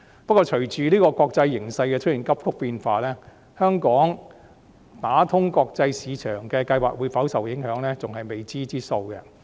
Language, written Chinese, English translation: Cantonese, 不過，隨着國際形勢出現急速變化，香港打通國際市場的計劃會否受影響，仍然是未知數。, However due to a rapidly changing international situation it is still uncertain whether Hong Kongs plan to open up the international market will be affected